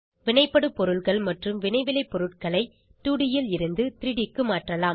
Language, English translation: Tamil, Now lets convert the reactants and products from 2D to 3D